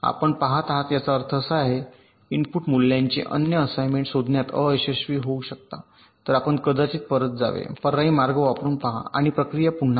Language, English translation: Marathi, you are, i mean you may fail to find the unique assignment of the input values, so you may have to go back, try an alternate path and repeat the process